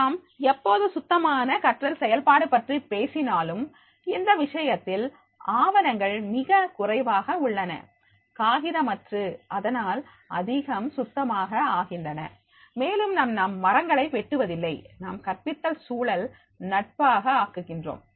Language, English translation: Tamil, So whenever we are talking about the cleaner teaching process and then in that case the documents are less and less, paperless, so therefore it is becoming the cleaner also and it is because we are not cutting trees, we are becoming the teaching has to be environment friendly